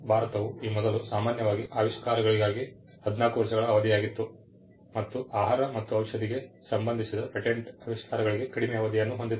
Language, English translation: Kannada, India earlier had a 14 year period for inventions in general and a shorter period for patents inventions pertaining to food drug and medicine